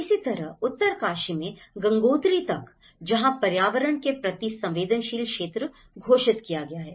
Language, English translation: Hindi, Similarly, in Uttarkashi to Gangotri, where the eco sensitive zone has been declared